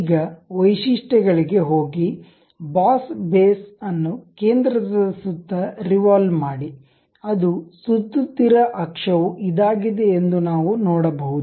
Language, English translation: Kannada, Now, go to features, revolve boss base, it is revolving around this centre one that is the thing what we can see axis of revolution as this line one